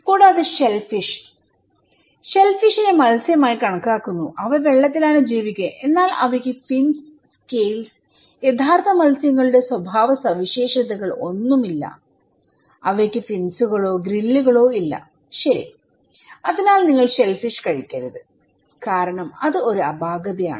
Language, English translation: Malayalam, Also, shellfish; shellfish is considered to be fish, they live in the water yet they lack fins, scales, characteristics of true fish, they do not have fins or grills, okay, so you should not eat shellfish because is an anomaly